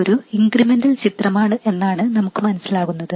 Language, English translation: Malayalam, So this is what happens in the incremental picture